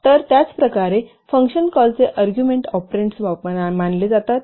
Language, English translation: Marathi, So similarly, the arguments of the function call are considered as operands